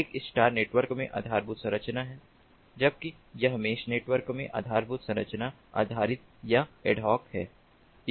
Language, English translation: Hindi, it is infrastructure based in the star network, whereas it is infrastructure based or ad hoc in the mesh network